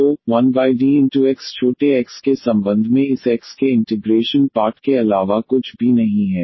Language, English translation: Hindi, So, 1 over D operated on X is nothing but the integral of this X with respect to small x